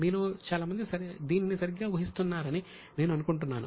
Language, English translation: Telugu, I think most of you are guessing it correctly